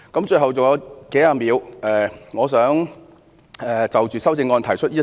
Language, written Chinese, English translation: Cantonese, 最後，還有數十秒，我想就修正案提出一點。, In the remaining several dozens of seconds I wish to raise one point about the amendment